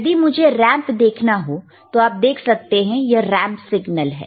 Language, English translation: Hindi, If I want to see a ramp, then you see this is a ramp signal, right